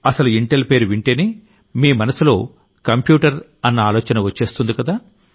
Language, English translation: Telugu, With reference to the name Intel, the computer would have come automatically to your mind